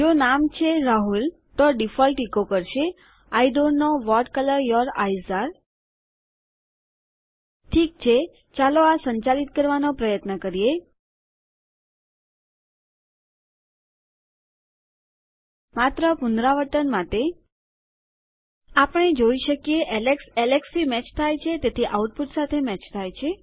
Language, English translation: Gujarati, The break is to end it If the name is say, Rahul, the default will echo I dont know what colour your eyes are Okay, so lets try running this Just to revise We can see that Alex matches to Alex matches to the output What you can do is you can enter as many lines of code here as you like